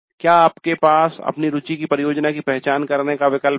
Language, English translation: Hindi, You had the option of identifying a project of interest to you